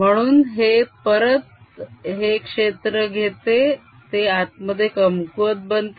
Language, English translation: Marathi, so this again: take this field: it'll become weaker inside